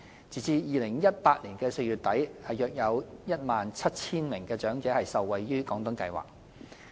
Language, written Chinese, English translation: Cantonese, 截至2018年4月底，約有 17,000 名長者受惠於"廣東計劃"。, As of the end of April 2018 about 17 000 elderly persons benefited from the Guangdong Scheme